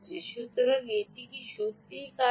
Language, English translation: Bengali, so, all nice, does it really work